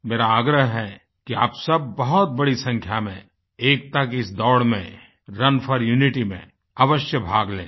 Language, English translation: Hindi, I urge you to participate in the largest possible numbers in this run for unity